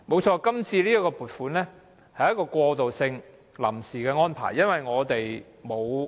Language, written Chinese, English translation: Cantonese, 這次的撥款的確是過渡性的、屬臨時的安排。, This Vote on Account VoA is indeed a transitional allocation and a temporary arrangement